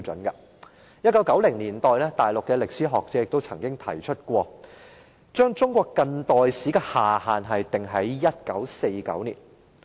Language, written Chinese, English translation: Cantonese, 1990年代，大陸歷史學者曾經提出把中國近代史的下限訂於1949年。, In the 1990s Mainland historians proposed that the year 1949 should be the beginning of modern Chinese history